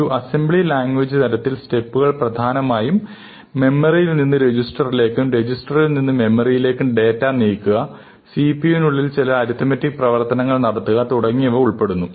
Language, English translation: Malayalam, If we are looking at a very low level, at an assembly language kind of thing, then the steps involves moving data from the main memory to register, moving it back, doing some arithmetic operation within the CPU and so on